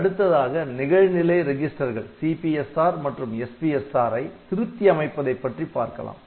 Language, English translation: Tamil, Then modification of the status registers like the CPSR and SPSR register